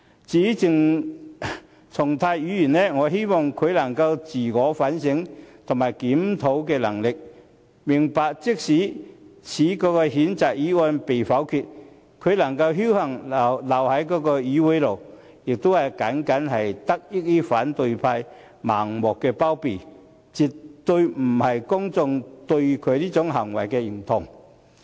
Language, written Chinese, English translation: Cantonese, 至於鄭松泰，我希望他能夠有自我反省和檢討的能力，明白即使此譴責議案被否決，他能夠僥幸留在議會內，也僅僅是得益於反對派盲目包庇，而絕不是公眾對他這種行為的認同。, As for CHENG Chung - tai I hope that he can conduct a self - reflection . He should realize that even if this censure motion is negatived and he is lucky enough to remain in the Council it is only due to Members of the opposition camp blindly shielding him but absolutely not because his behaviour is endorsed by the public